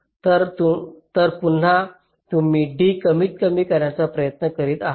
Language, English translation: Marathi, now we are trying to find out the minimum d